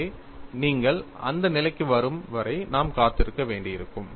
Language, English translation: Tamil, So, we will have to wait until you come to that stage; that is needed